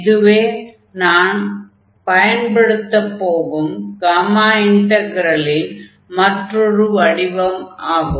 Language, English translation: Tamil, So, this is another form of this gamma integral which we will use now